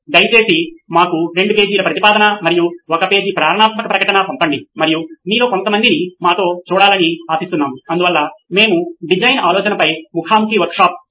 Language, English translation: Telugu, Please send us a two page proposal and a one page motivational statement and we hope to see some of you with us so we can do a face to face workshop on design thinking